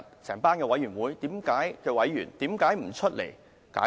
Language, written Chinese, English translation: Cantonese, 這些委員會的委員為何不出來解釋？, Why do members of these committees not come out to explain?